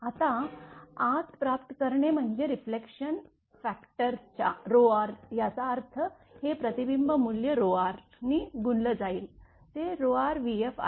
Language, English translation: Marathi, Now, receiving inside the reflection factor is rho r; that means, this reflection value multiplied by rho r, rho r into v f right